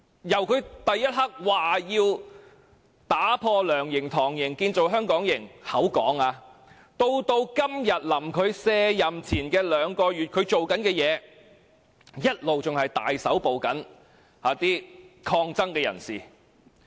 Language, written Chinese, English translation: Cantonese, 由他當選後立刻表示要打破"梁營"、"唐營"，建造"香港營"——他只是說——到今日卸任前兩個月，他正在做的事情，一直是大規模搜捕抗爭人士。, From him declaring his intention to scrap the LEUNGs camp and TANGs camp for the creation of a Hong Kong Camp―it was just empty talk of his―to today which is a tad more than two months before he retires from office he has only been capturing protestors on a large scale